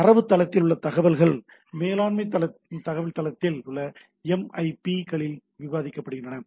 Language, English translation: Tamil, So information in the database is described in management information base or MIBs right